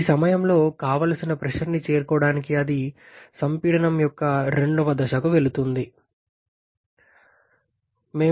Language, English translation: Telugu, Then it goes to the second stage of compression to reach the desired pressure at this point 4